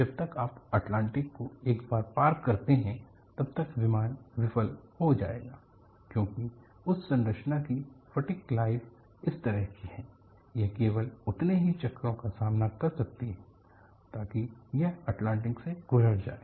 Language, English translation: Hindi, By the time you cross once the Atlantic, the plane will fail because a fatigue life of that structure was such, it could with stand only so many cycles as it passes through Atlantic